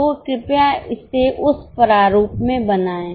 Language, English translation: Hindi, Please make the budget in the proper format